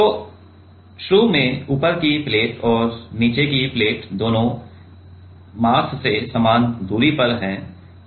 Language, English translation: Hindi, So, initially both the top plate and bottom plate are at the same distance from the mass